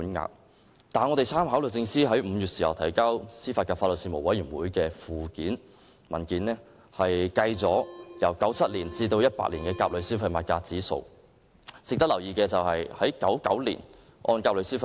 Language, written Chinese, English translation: Cantonese, 然而，我們參考律政司5月提交司法及法律事務委員會文件的附件，當中載列按1997年至2018年甲類消費物價指數變動計算的賠償款額。, Let us have a look at the calculation of the compensation amount according to changes in CPIA from 1997 to 2018 as set out in Annex of the DoJ paper submitted to the AJLS Panel in May